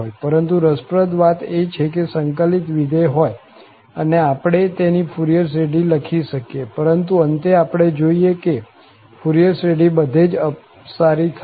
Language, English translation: Gujarati, But the interesting point is that there are integrable functions and we can write down their Fourier series, but at the end, we will realize that this Fourier series diverges everywhere